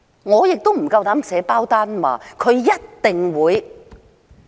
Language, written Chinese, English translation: Cantonese, 我亦不敢保證它一定會。, Well I dare not say that it will definitely do so